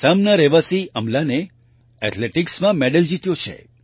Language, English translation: Gujarati, Amlan, a resident of Assam, has won a medal in Athletics